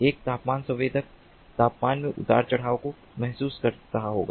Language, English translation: Hindi, a temperature sensor would be sensing the temperature fluctuations